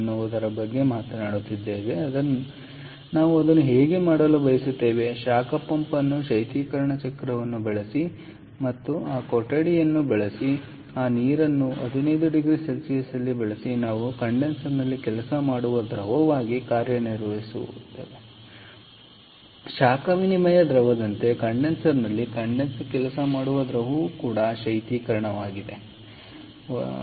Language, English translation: Kannada, again, use a heat pump, use a refrigeration cycle and use this room, or use this water at fifteen degree centigrade that we have as the working fluid in the condenser not not the working fluid, sorry as the heat exchange fluid in the condenser